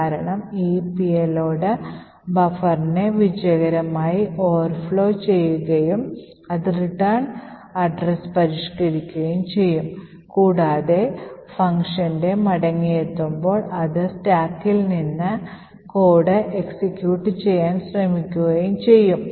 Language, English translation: Malayalam, The reason being is that this payload would successfully overflow the buffer and it will overflow the return address and modify the return address and at the return of the function it would try to execute code from the stack